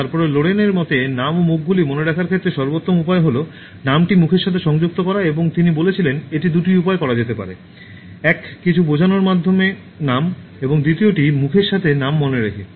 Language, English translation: Bengali, Then in terms of remembering names and faces according to Lorayne the best way to remember names and faces is to associate the name to the face, and he says it can be done in two ways, one by making the name mean something and second by tying the name to the face okay